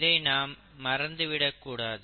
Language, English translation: Tamil, We should not forget that aspect